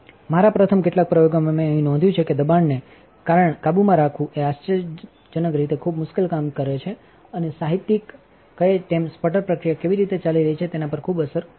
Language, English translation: Gujarati, In my first few experiments, here I have noticed that controlling the pressure is actually surprisingly difficult and also as the literature says has a pretty profound an effect on how the sputter process is going